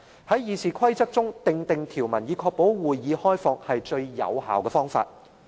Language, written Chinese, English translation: Cantonese, 在《議事規則》中訂定條文，以確保會議開放是最有效的方法。, Hence the most effective way to ensure the openness of the legislature is to make such a rule in RoP